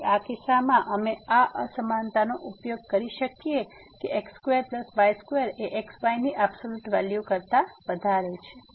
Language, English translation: Gujarati, So, in this case, we can use this inequality that square plus square is greater than the absolute value of